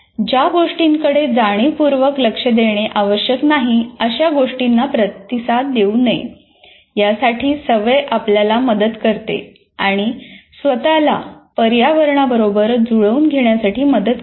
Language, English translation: Marathi, Habituation helps us to learn not to respond to things that don't require conscious attention and to accustom ourselves to the environment